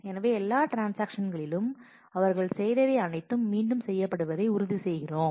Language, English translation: Tamil, So, we make sure that all transactions whatever they did they those are done again